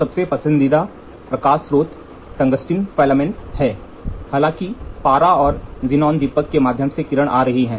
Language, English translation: Hindi, So, the most preferred light source is tungsten filament lights, although mercury and xenon lights are also used sometimes